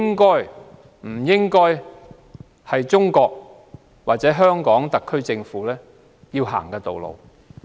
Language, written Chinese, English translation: Cantonese, 我認為，中國或特區政府不應有這種野蠻行為。, I believe that the Chinese or the SAR governments should not behave in such a savage way